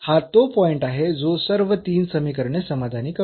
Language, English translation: Marathi, This is the point which is which satisfies all these 3 equations